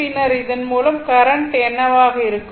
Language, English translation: Tamil, Then, what will be the current through this